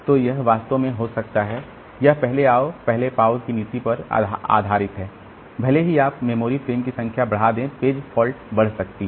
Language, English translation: Hindi, So, this actually can happen in case of this first come first sub based policy that even if you increase the number of memory frames the page fault may increase